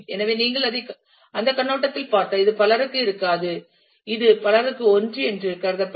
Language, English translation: Tamil, So, if you look at it from that perspective this will not be many to many this will be treated as many to one